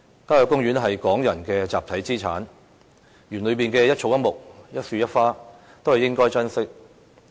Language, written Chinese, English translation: Cantonese, 郊野公園是港人的集體資產，裏面的一草一木、一樹一花都應該珍惜。, Country parks are a collective asset of Hong Kong people and we should treasure the grass the trees and the flowers therein